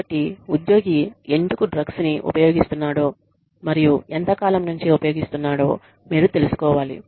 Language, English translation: Telugu, So, you must find out, why the employee has been using drugs, and how far, how long